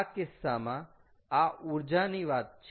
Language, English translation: Gujarati, but here we have to use energy